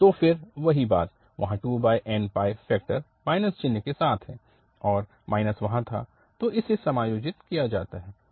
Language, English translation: Hindi, So again, the same thing there 2 over n pi factor with the minus sign and minus was there, so it is adjusted